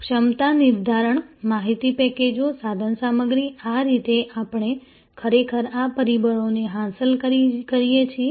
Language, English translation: Gujarati, The capacity determination, information packages, equipment, these are the ways actually we achieve these factors